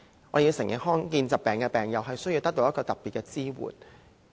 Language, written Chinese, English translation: Cantonese, 我們要承認，罕見疾病的病友需要得到特別的支援。, We have to admit that patients with rare diseases need special support